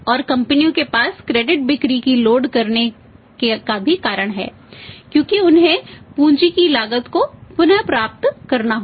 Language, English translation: Hindi, And companies also have to have the reasons to load the credit sales sales because they have to recover the cost of capital